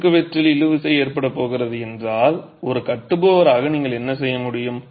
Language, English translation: Tamil, If it so happens that there is going to be tension in the cross section, as a builder what could you do